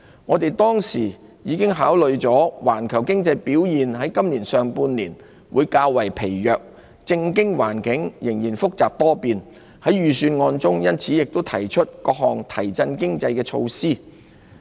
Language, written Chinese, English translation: Cantonese, 我們當時已考慮了環球經濟表現在今年上半年會較疲弱，政經環境仍然複雜多變，因此亦在預算案中提出各項提振經濟的措施。, Having taken into consideration the possibilities of a weakening global economy in the first half of this year and political and economic conditions that would remain complicated and fluid we put forward in the Budget various measures for reviving the economy